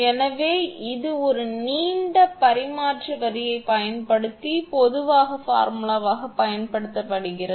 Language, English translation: Tamil, So, this is using the generalized formula using a long transmission line